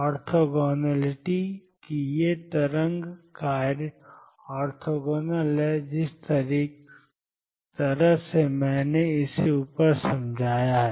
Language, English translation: Hindi, Orthogonality that these wave functions are orthogonal in the sense of the way I have explained above it follows